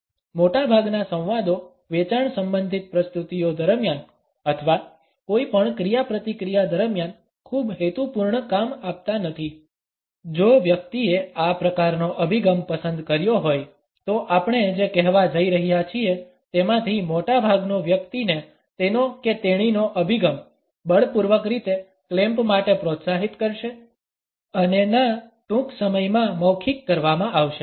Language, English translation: Gujarati, Most of the dialogue is not going to serve much purpose during any sales related presentations or in any interaction, if the person has opted for this type of an attitude most of what we are going to say would further encourage the person to clamp his or her attitude in a force full manner and the no would soon be verbalized